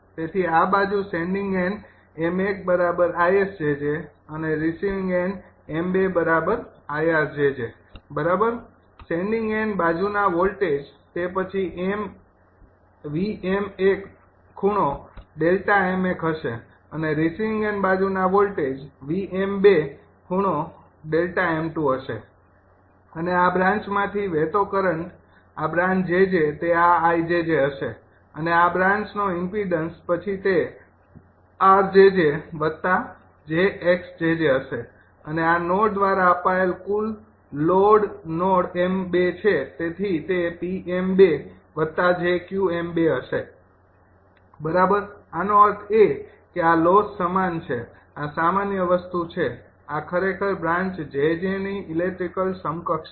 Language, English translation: Gujarati, so this side is sending end node is ipm one is equal to isjj and receiving end node m two is equal to irjj, right sending end side voltage will be then a vm one, vm one, angle delta m one, and receiving end side voltage will be vm two, right angle delta m two, and current flowing through this branch it is branch jj, it will be ijj and impendence of this branch then it will be rjj plus j, xjj and total load fed through this node is node m two